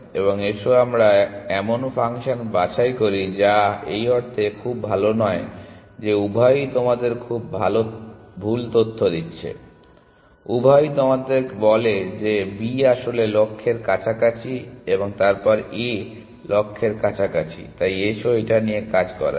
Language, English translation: Bengali, And let us pick functions which are not very good in the sense that both of them are giving you wrong information, both of them are telling you is that B is actually closer to the goal then A is closer to the goal, so let us work with this